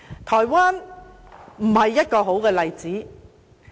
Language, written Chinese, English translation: Cantonese, 台灣不是好的例子。, Taiwan is not a good example